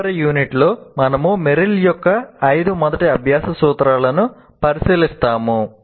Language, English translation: Telugu, And in the next unit, we will be looking at Merrill's five first principles of learning